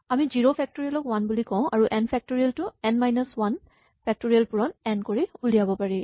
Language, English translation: Assamese, So, we say that zero factorial is 1 and then, we say that n factorial can be obtained from n minus 1 factorial by multiplying by n